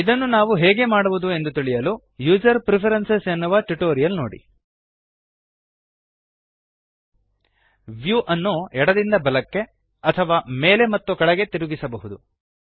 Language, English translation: Kannada, To learn how to do this, see the tutorial on User Preferences.lt/pgt Rotating the view can be done either left to right or up and down